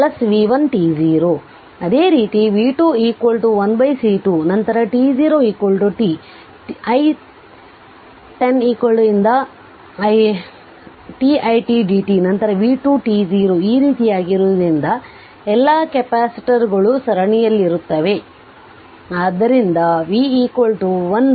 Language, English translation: Kannada, Similarly v 2 is equal to 1 upon C 2 then t 0 is equal to your t, i t 0 to ti t dt, then v 2 t 0 like this because all the capacitors are in series